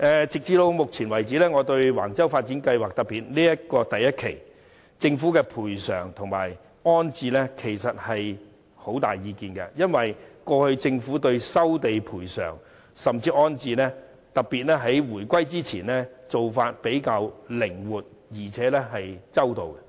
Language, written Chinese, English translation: Cantonese, 直至目前為止，就着橫洲發展計劃，我對政府的賠償和安置很有意見，因為政府過去對於收地賠償，甚至安置的做法較為靈活，而且周到。, Up to this moment regarding the Wang Chau development plan I am dissatisfied with the compensation and rehousing arrangement of the Government . In the past the Government was more flexible in providing compensation for land resumption and making rehousing arrangement and it was also more considerate and attentive